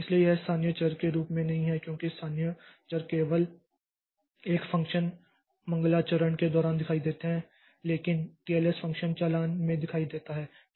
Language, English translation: Hindi, So, this is not as local variables because local variables visible only during single function invocation but TLS is visible across function invocations